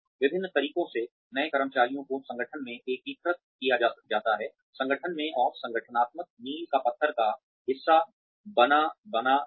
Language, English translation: Hindi, Various ways in which, new employees are integrated, into the organization, and made a part of the organizational milieu